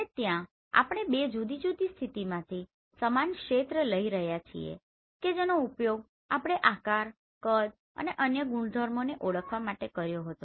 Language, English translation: Gujarati, And there we are acquiring same area from two different position and that we used to identify the shape, size and other properties of the target